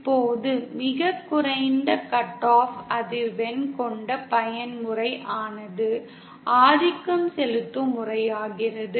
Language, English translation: Tamil, The mode that has the lowest cut off frequency is called the dominant mode